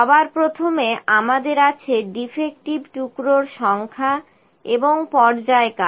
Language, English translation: Bengali, First of all, we have number of defective pieces and the period